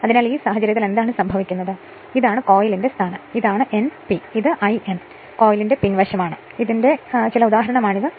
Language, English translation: Malayalam, So, in this case what will happen that this is your some instant this is some instance this is the position of the coil, this is your N p, and this is your l N this is the back side of the coil